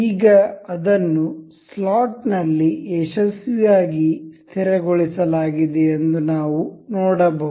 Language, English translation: Kannada, Now, we can see it is successfully fixed into the slot